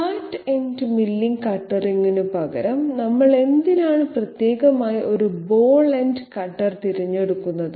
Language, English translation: Malayalam, Now why do we choose specifically a ball ended cutter instead of a flat ended milling cutter